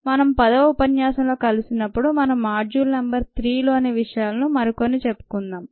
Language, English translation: Telugu, when we meet in lecture ten we will take things forward with module number three, see you